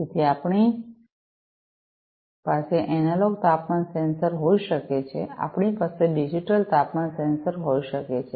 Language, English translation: Gujarati, So, we can have analog temperature sensors, we can have digital temperature sensors